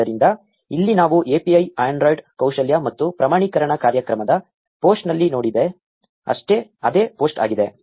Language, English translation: Kannada, So, here it is the same post that we saw in the API, the android skill and certification programme post